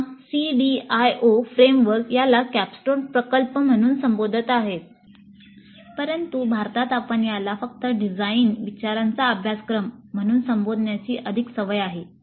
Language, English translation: Marathi, Again, CDIO framework calls this as cornerstone project, but in India we are more used to calling this as simply a design thinking course